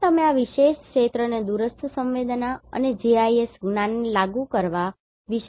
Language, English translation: Gujarati, And you can think of applying this remote sensing and GIS knowledge this particular field